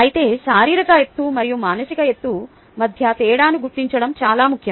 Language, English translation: Telugu, it is, however, important to distinguish between physical height and psychological height